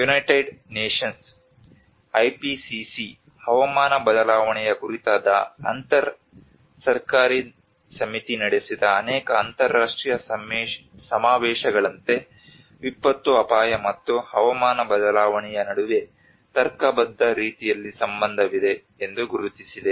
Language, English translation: Kannada, And that is where like many of the international conventions, frameworks held by United Nations, IPCC the Intergovernmental Panel on climate change have recognized that there is a relationship between disaster risk and climate change in a rational manner